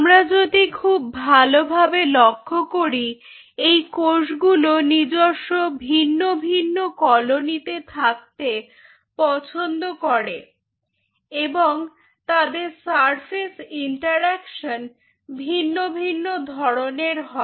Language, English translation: Bengali, so it seems, if we look at it very carefully, its seems these cells preferred to remain in different kinds, colonies of their own with a different kind of surface interaction [vocalized noise]